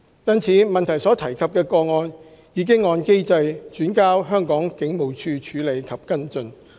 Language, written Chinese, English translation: Cantonese, 因此，質詢所提及的個案已按機制轉交香港警務處處理及跟進。, As such the cases mentioned in question have been referred to the Hong Kong Police Force to handle and follow up in accordance with the mechanism